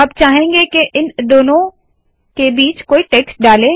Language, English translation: Hindi, Now we want introduce some text between these two